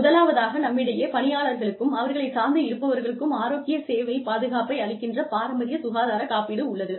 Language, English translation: Tamil, We have traditional health insurance, provides health care coverage, for both employees and their dependents